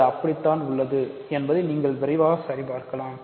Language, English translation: Tamil, And you can quickly check that it is so